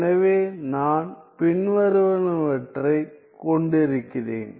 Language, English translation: Tamil, Now, what I have is the following